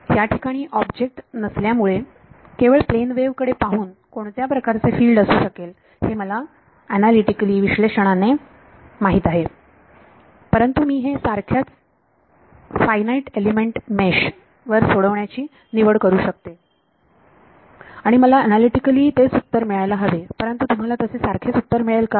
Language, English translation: Marathi, I know analytically the form of what the field should be because there is no object plane wave, but I can choose to solve this on the same finite element mesh I should get the same answer as the analytical solution, but will you get the same answer